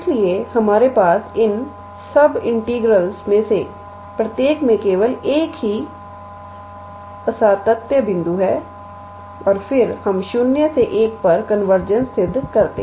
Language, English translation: Hindi, So, that we have only one point of discontinuity in each one of these sub integrals and then we show the convergence at 0 and convergence at 1